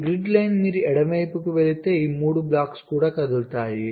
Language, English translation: Telugu, if you move to the left, all this three blocks will also move